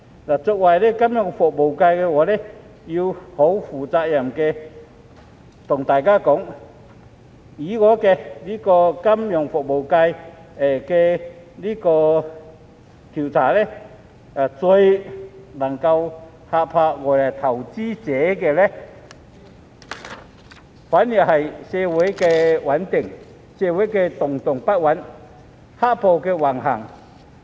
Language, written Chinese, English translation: Cantonese, 我作為金融服務業界的議員，必須負責任地告訴大家，我在金融服務界進行的調查顯示，最能嚇怕外來投資者的反而是社會動盪不穩和"黑暴"橫行。, As a Member of the financial services sector I must responsibly tell everyone that the survey I conducted in the financial services sector shows that what scares foreign investors the most is social instability and the prevalence of black - clad violence